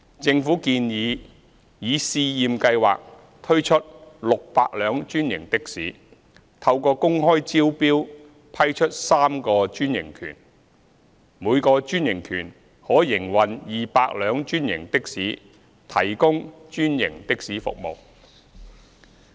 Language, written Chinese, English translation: Cantonese, 政府建議以試驗計劃推出600輛專營的士，透過公開招標批出3個專營權，每個專營權可營運200輛專營的士提供專營的士服務。, The Government proposes the introduction of 600 franchised taxis under a trial scheme . Three franchises will be granted through open tender each allowing the operation of 200 franchised taxis to provide franchised taxi services